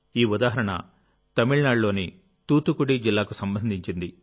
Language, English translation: Telugu, This is the example of Thoothukudi district of Tamil Nadu